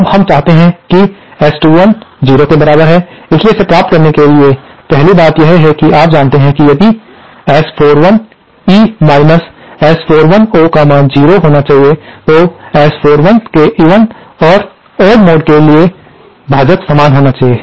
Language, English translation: Hindi, Now we want S 21 equal to 0, so to achieve that, 1st thing is that you know if S 41E S 41O should be equal to 0, then the denominators for the even and odd mode of S 41 should be the same